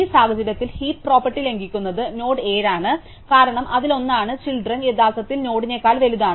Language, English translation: Malayalam, In this case, node that violates the heap property is 7, because one of it is children are actually bigger than the node itself